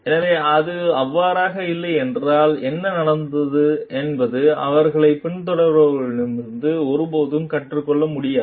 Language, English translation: Tamil, So, if that is not so, then what happened they will never be able to learn from their followers